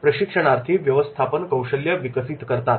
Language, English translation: Marathi, Trainee develops a managerial skills